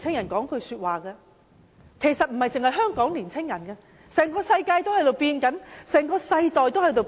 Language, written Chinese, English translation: Cantonese, 我想告訴青年人，不止香港的青年人，整個世界在改變，整個世代也在改變。, I would like to tell young people of Hong Kong that the whole world is changing and the whole generation is also changing